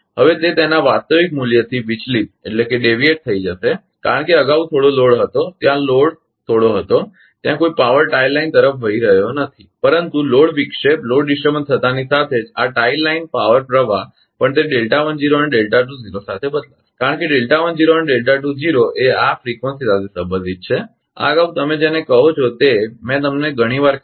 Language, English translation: Gujarati, Now, we will deviate from its actual value because earlier some load whether some load whether some power was flowing to a tie line, but as soon as load disturbance happen this tie line power flow also will change along with that delta 20 delta 10 will change because delta 10 delta delta 2 the frequency this earlier this your what you call I told you several time right